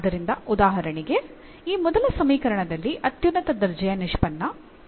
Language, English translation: Kannada, So, for example, in this first equation the highest order derivative is 4